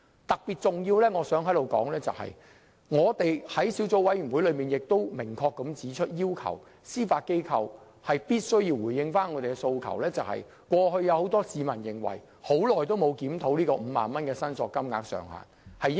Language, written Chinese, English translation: Cantonese, 特別重要的是，我們在小組委員會明確要求司法機構必須回應市民的訴求，即 50,000 元申索限額長期沒有檢討，應該有所提高。, It is particularly important that Members have made it clear at the Subcommittee that the Judiciary has to respond to public demand and raise the claim limit of 50,000 which has not been reviewed for a long time